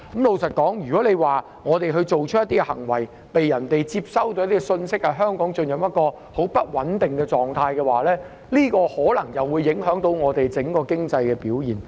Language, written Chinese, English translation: Cantonese, 老實說，如果我們做出某些行為，而別人接收到的信息是香港進入很不穩定的狀態，這樣很可能會影響香港整體的經濟表現。, Frankly speaking if we take certain actions and the message received by other people is that Hong Kong has run into a very unstable condition this will likely affect Hong Kongs overall economic performance